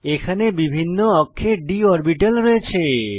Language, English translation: Bengali, Next, we have d orbitals in different axes